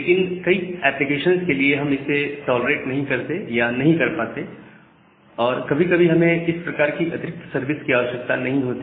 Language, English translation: Hindi, But for many of the application, we do not tolerate or we are not able to tolerate or some time we do not require this kind of additional services